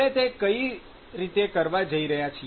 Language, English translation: Gujarati, So, how we are going to do that